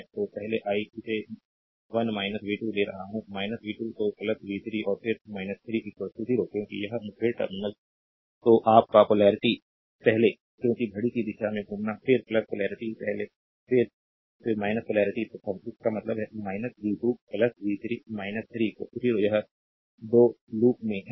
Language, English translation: Hindi, So, first I am taking this 1 minus v 2 this is minus v 2 then plus v 3, and then minus 3 is equal to 0, because this encountering minus ah terminal your minus polarity first, because moving clockwise then plus polarity first, then again minus ah polarity ah first; that means, minus v 2 plus v 3 minus 3 is equal to 0, that is in loop 2